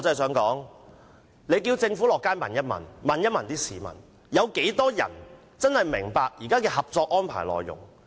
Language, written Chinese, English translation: Cantonese, 請政府到街上問問，有多少市民真的明白現時《合作安排》的內容？, I hope the Government will go out to the street and find out how many people really understand the contents of the Co - operation Arrangement